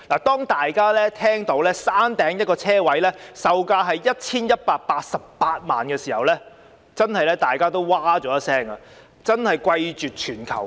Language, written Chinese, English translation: Cantonese, 大家看到山頂一個車位的售價是 1,188 萬元時不禁譁然，因為真的是貴絕全球。, Everyone was taken aback after learning that a parking space at the Peak costs 11.88 million because it is really the most expensive in the world